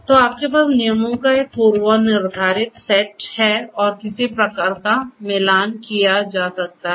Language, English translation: Hindi, So, you have a predefined set of rules and some kind of matching can be done